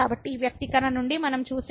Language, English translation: Telugu, So, out of this expression what we see